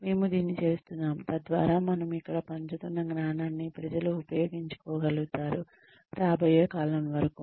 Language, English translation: Telugu, We are doing this, so that, people are able to make use of the knowledge, that we are sharing here, for a long time to come